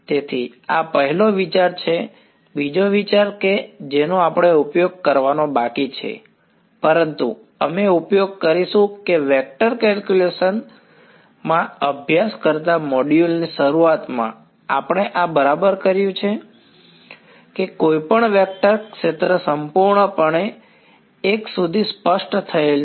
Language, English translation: Gujarati, So, this is the first idea right the second idea that we are yet to use, but we will use is that we are done this right in the beginning of the module studying in vector calculus, that any vector field is completely specified up to a constant if you give its